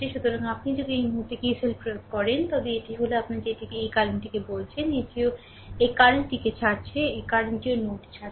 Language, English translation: Bengali, So, if you apply KCL at this point it will be your ah your what you call this current is also leaving this current is also leaving this current is also leaving the node